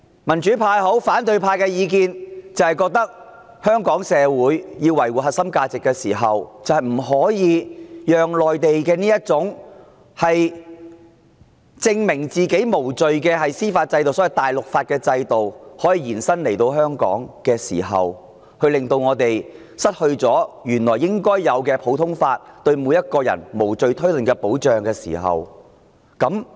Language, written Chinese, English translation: Cantonese, 民主派或反對派的意見是，香港社會要維護自身核心價值，就不可讓內地這種要證明自己無罪的司法制度——所謂"大陸法"的制度延伸到香港，令我們失去原有的普通法，令每個人喪身無罪推論的保障。, In the view of the pro - democracy or opposition camp if the core values of Hong Kong society are to be upheld it is imperative to keep Hong Kong away from the reach of such a legal system of the Mainland―a system underpinned by the so - called continental law under which the burden of proof falls on the suspect―lest we will be deprived of our original common law and its safeguard of presumption of innocence to which we are all entitled